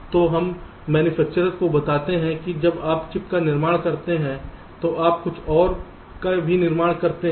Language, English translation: Hindi, so so we tell the manufactures that when you manufacture the chip, you also manufacture something else